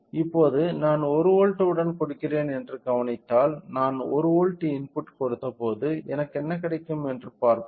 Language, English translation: Tamil, So, now, if we observe I am giving with a 1 volt let us see what do I get it when I given input of 1 volt right